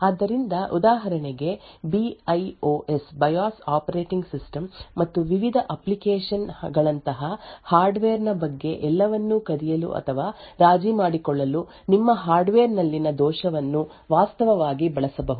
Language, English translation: Kannada, So, for example, a flaw in your hardware could actually be used to steal or compromise everything about that hardware like the BIOS operating system and the various applications